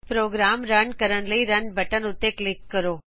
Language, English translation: Punjabi, Now click on the Run button to run the program